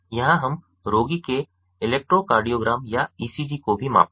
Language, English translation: Hindi, here we also measure electrocardiogram or ecg of the patient